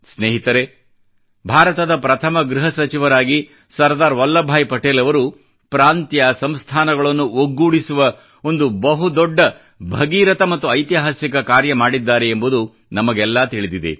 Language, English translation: Kannada, Friends, all of us know that as India's first home minister, Sardar Patel undertook the colossal, historic task of integrating Princely states